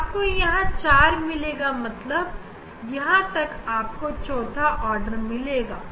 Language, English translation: Hindi, fifth is missing then here you will get 4 that means, up to here you will get fourth order